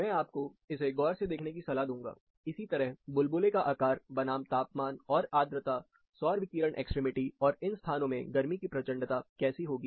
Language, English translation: Hindi, I would recommend you to take a closer look at this, similarly, size of bubble, versus the temperature and humidity solar radiation extremities, and how the thermal severity will be there, in these locations